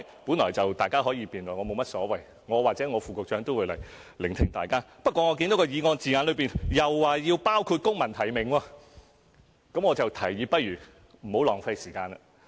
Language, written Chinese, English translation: Cantonese, 本來大家是可以辯論的，我無所謂，我或我的副局長會來聆聽大家的意見，可是我看見議案字眼又說要包括公民提名，便想提議大家不要浪費時間。, Anyone can debate on that issue . I have no special opinions; either I or my Under Secretary will come to listen to Members views . But when I see that the wording of the motion includes the phrase including civil nomination may I suggest Members not wasting their time?